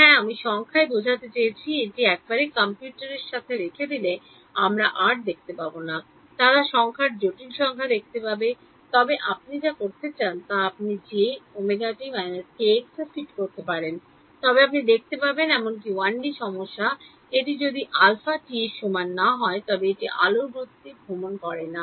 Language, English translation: Bengali, Yeah I mean numerically once we have put it along to the computer we are no longer going to see e to the j k x or e to the j omega t they are going to see numbers complex numbers then you can fit whatever thing you want to do it, but you will find that even a 1D problem if alpha is not equal to 1 right it is not travelling at the speed of light